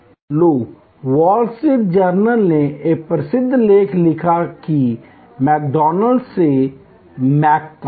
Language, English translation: Hindi, So, wall street journal wrote a famous article that from McDonald’s to Mc